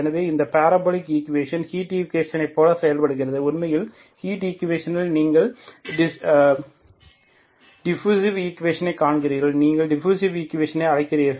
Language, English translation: Tamil, So these parabolic equations behave like the heat equations, it is actually in the heat equation you see that diffusive equation, you call diffusive equation, okay, heat equation